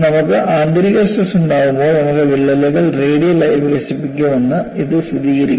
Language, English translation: Malayalam, So, this gives a confirmation that, when you have internal pressure, you could have cracks developing radially